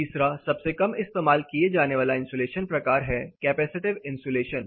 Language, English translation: Hindi, The third or most rarely used insulation type is a capacitive insulation traditional